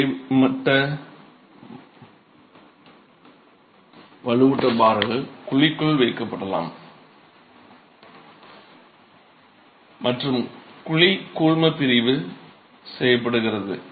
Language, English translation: Tamil, The vertical and horizontal reinforcement bars can be placed in the cavity and the cavity is grouted